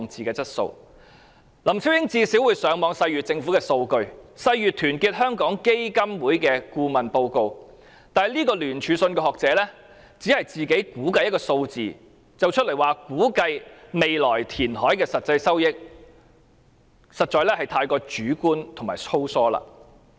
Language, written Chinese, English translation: Cantonese, 林超英最低限度會上網細閱政府的數據及團結香港基金的顧問報告，但聯署信的學者只是自行估計一個數字作為未來填海的實際收益，實在過於主觀和粗疏。, LAM Chiu - ying has at least gone online to examine the Governments figures and the consultants report of Our Hong Kong Foundation in detail; but the economists of the jointly signed letter have only estimated on their own the actual revenue from future reclamation which was indeed too subjective and sloppy